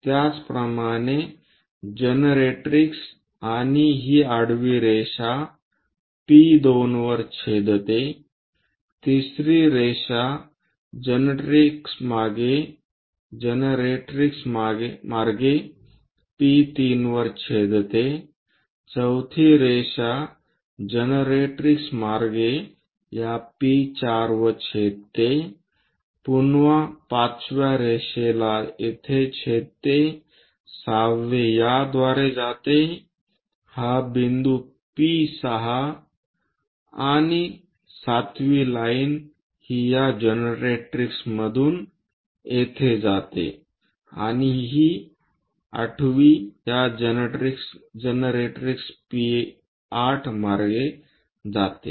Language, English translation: Marathi, Similarly, the generatrix and this line horizontal one intersecting at P2, extend 3 which is going to intersect 3 goes via these generatrix intersecting at P3, 4th line via generatrix intersects at this P4, 5th line again it intersects here, 6th one passes via this point P6 and 7th line it passes via this generatrix here, and 8th one passes via this generatrix P8